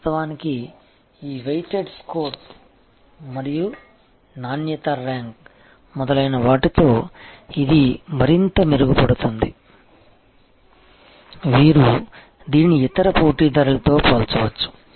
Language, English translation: Telugu, In fact, it can be further improve with all these weighted score and an improvement difficulty rank etc, you can also compare it with other competitors and so on